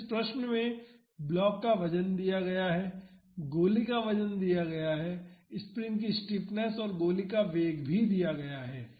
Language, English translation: Hindi, So, in this question, the weight of the block is given; weight of the bullet is given the stiffness of the spring and the velocity of the bullet are also given